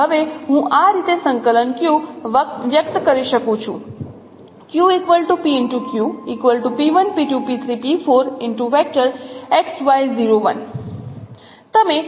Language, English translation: Gujarati, So now I can express the coordinate Q in this way